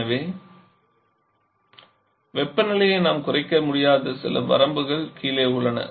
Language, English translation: Tamil, So there are certain limits below which we cannot lower the temperature